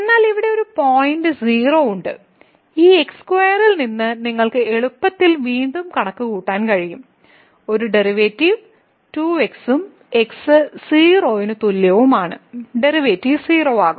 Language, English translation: Malayalam, But there is a point here 0 which you can easily compute again from this square is a derivative is 2 and is equal to 0 the derivative will become 0